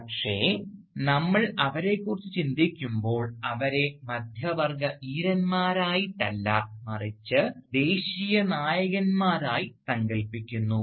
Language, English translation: Malayalam, But, when we think about them, we do not conceive them as middle class heroes, but as national heroes